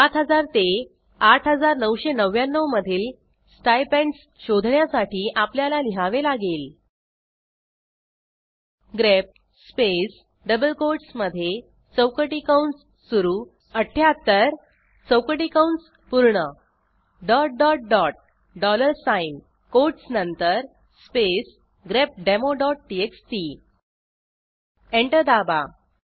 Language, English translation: Marathi, To find stipends between 7000 to 8999 we have to write: grep space within double quotesopening square bracket 78 closing square bracket ...dollar sign after the quotes space grepdemo.txt Press Enter The output is displayed